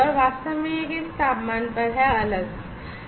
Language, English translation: Hindi, And you know exactly, which temperature how it is varying